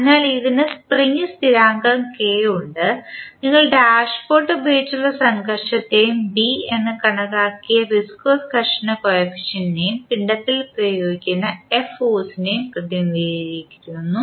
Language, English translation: Malayalam, So, it is having spring with spring constant K and you represent the friction with dashpot and the viscous friction coefficient which we considered is B and the force f which is applied to the mass